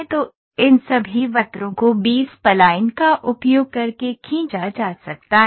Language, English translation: Hindi, So, all these curves can be drawn by using B spline